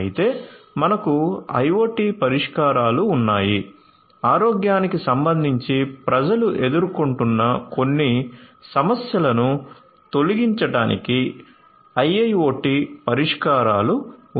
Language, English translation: Telugu, So, you know however, we have our IoT solutions, we have our IIoT solutions that could be used to alleviate some of the problems that are encountered by people with respect to health